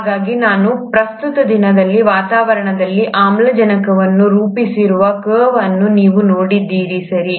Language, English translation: Kannada, So if you see this curve where I have plotted atmospheric oxygen at the present day, right